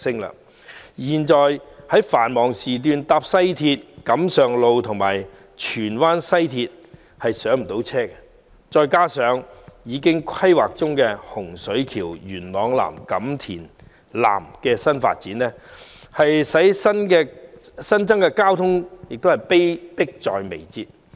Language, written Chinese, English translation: Cantonese, 現時在繁忙時段乘搭西鐵，錦上路站和荃灣西站也難以上車，加上規劃中的洪水橋、元朗南及錦田南的新發展，令新增的交通問題迫在眉睫。, At present passengers have difficulties boarding trains on the West Rail Line at both Kam Sheung Road Station and Tsuen Wan West Station during peak hours . This coupled with the new development in Hung Shui Kiu Yuen Long South and Kam Tin South under planning has made the problem of additional traffic load even more pressing